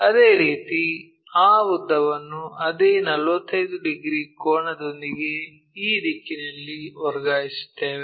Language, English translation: Kannada, Similarly, transfer that length in this direction with the same 45 degrees angle